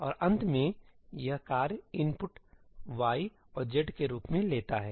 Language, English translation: Hindi, And finally, this task takes as input, y and z